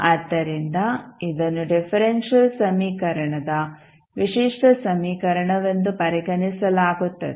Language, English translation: Kannada, So, this will be considered as a characteristic equation of the differential equation